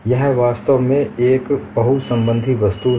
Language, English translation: Hindi, It is actually a multiply connected object